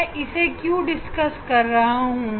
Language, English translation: Hindi, here why I am discussing this